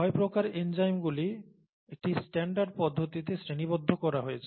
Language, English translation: Bengali, The six types that the enzymes are classified into in a standardised fashion